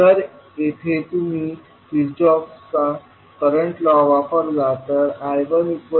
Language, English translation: Marathi, So when you use Kirchhoff’s voltage law you will write V2 as g21 V1 plus g22 I2